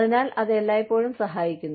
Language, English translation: Malayalam, So, that always helps